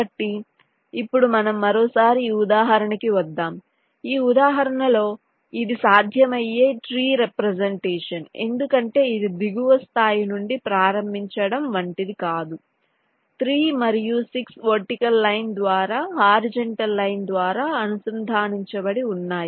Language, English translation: Telugu, in this example this is one possible tree representations because it is not unique, like starting from the lower level, three and six are a connected by a vertical line, by a by a horizontal line